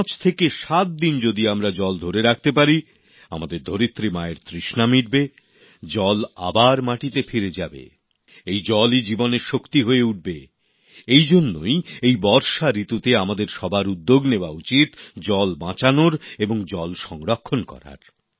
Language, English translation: Bengali, If the water is retained for five days or a week, not only will it quench the thirst of mother earth, it will seep into the ground, and the same percolated water will become endowed with the power of life and therefore, in this rainy season, all of us should strive to save water, conserve water